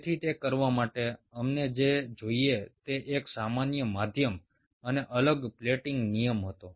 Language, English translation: Gujarati, so in order to do that, what we needed was a common medium and a different plating rules